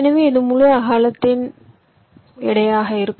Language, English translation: Tamil, ok, so this will be the weight, the whole width